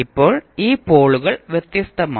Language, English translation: Malayalam, Now, these poles are distinct